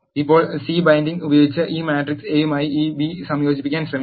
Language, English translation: Malayalam, Now, let us try to concatenate this B to this matrix A using C bind